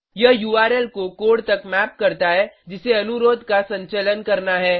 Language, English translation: Hindi, It maps the URL to the code that has to handle the request